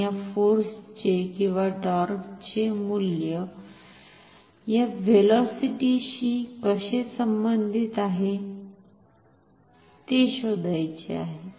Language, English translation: Marathi, And how this value of this force or this torque is related to this velocity